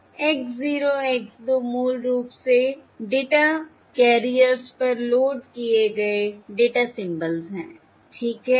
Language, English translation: Hindi, all right, X 0 X 2 are basically corresponding data symbols loaded onto the data carriers